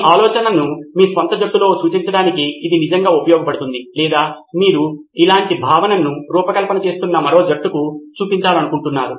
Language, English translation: Telugu, Its actually also useful to represent your idea within your own team or you want to show it to another team who is also designing a similar concept